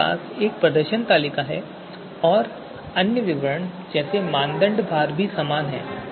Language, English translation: Hindi, You have the same performance table again and then the other details are same, criteria weights they are same